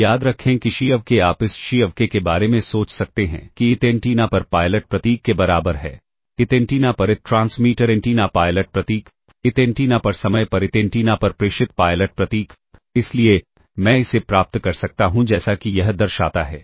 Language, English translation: Hindi, Now, remember x i of k you can think of this x i of k, equals pilot symbol on the i th antenna i th transmit antenna pilot symbol [noise] transmitted on i th [noise] antenna, [noise] pilot symbol transmitted on i th antenna at time instant k, ok